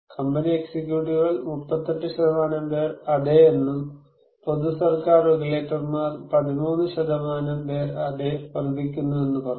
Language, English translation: Malayalam, Company executives they believe 38% say yes and public and government regulators; 13 % said yes increasing